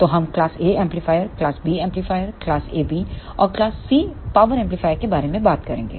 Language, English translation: Hindi, So, we will talk about class A amplifier, class B amplifier, class AB, and class C power amplifier